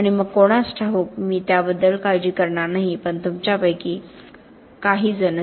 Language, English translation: Marathi, And then who knows, I will not be around to worry about that but some of you will